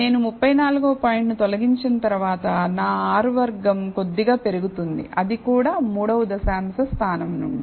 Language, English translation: Telugu, So, after I remove the 34th point my R squared slightly increases; that is also from the 3rd decimal place